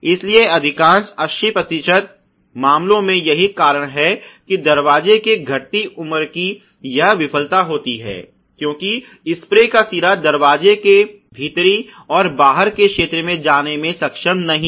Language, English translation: Hindi, So, therefore, in most 80 percent of the cases the reason why this failure of the deteriorated life of the door occurs is, because the spray head is not able to go as far into between the door inner and outer ok